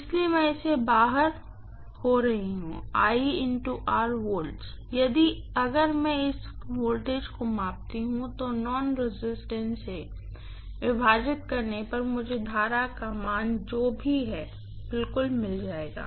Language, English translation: Hindi, So, what I am getting out of this will be 1 multiplied by R volts, so if I measure this voltage, divide that by the nonresistance I will get exactly whatever is the current value